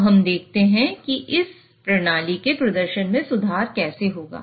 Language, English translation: Hindi, Now let us see how would it improve the performance of this system